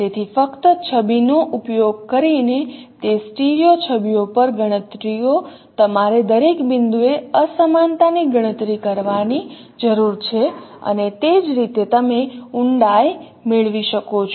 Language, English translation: Gujarati, So, only using image computations, computations over those stereo images, you need to compute disparity at every point and that is how you can obtain the depth